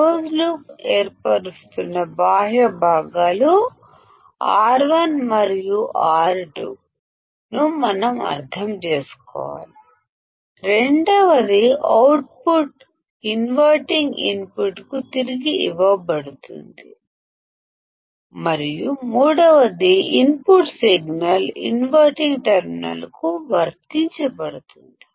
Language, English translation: Telugu, So, three things we have to understand external components R 1 and R 2 that forms a closed loop, second output is fed back to the inverting input and third is that input signal is applied to the inverting terminal